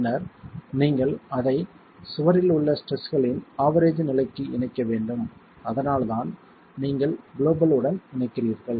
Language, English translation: Tamil, And then you need to have to link it up to average state of stresses in the wall itself and that's where you are linking it up to the global